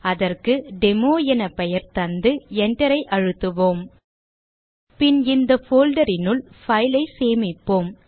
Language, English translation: Tamil, Let us name it Demo and press enter Then inside this folder we will save the file